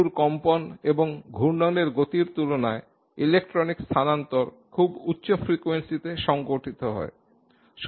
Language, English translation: Bengali, Electronic transitions take place at very high frequencies compared to the molecular motion in vibrations and rotations